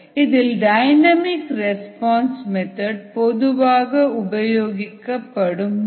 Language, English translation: Tamil, the dynamic response method is one that is most preferred